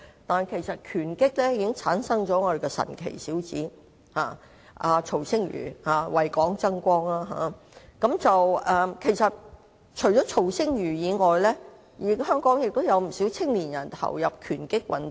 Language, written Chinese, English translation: Cantonese, 但是，拳擊界已經誕生了一位"神奇小子"曹星如，為港爭光，而且除了曹星如之外，香港也有不少年青人投入拳擊運動。, But Rex TSO the Wonder Kid has risen to fame in the boxing arena bringing glory for Hong Kong . Rex TSO aside many young people in Hong Kong also practise boxing